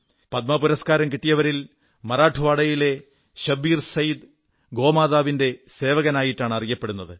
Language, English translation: Malayalam, Among the recipients of the Padma award, ShabbirSayyed of Marathwada is known as the servant of GauMata